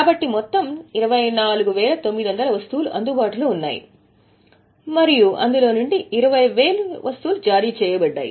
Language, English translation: Telugu, So, total 24,900 items are available and 20 are issued